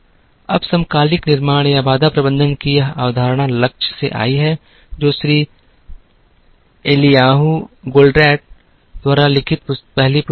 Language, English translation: Hindi, Now, this concept of synchronous manufacturing or constraint management came from the goal, which was a book first written by Mr Eliyahu Goldratt